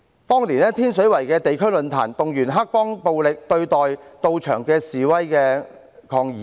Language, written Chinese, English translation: Cantonese, 當年，在天水圍的地區論壇，也動員了黑幫來暴力對待到場的示威抗議者。, At the district forum in Tin Shui Wai back in those days gangsters were also mobilized to treat the protesters there to violence